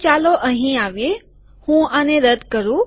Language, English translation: Gujarati, So lets come here, let me delete this